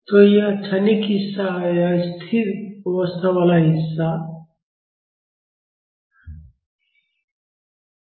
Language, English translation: Hindi, So, this is the transient part and this is the steady state part